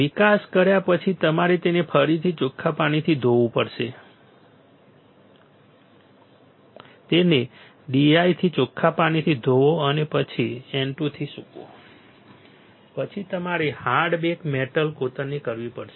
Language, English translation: Gujarati, After developing you have to again rinse it rinse with D I and then dry with N 2 then you have to do hard bake metal etch